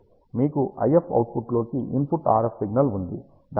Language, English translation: Telugu, You have an input RF signal leaking into the IF output